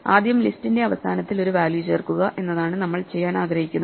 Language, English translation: Malayalam, The first thing that we might want to do is add a value at the end of the list